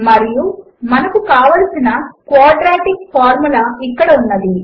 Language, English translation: Telugu, And there is the quadratic formula